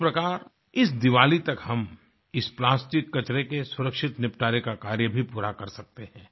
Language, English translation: Hindi, This way we can accomplish our task of ensuring safe disposal of plastic waste before this Diwali